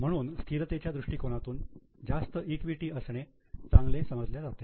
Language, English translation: Marathi, So, from a stability viewpoint, higher equity is better